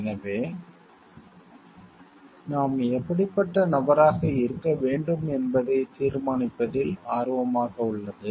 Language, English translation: Tamil, So, it is interested in determining what kind of person we should be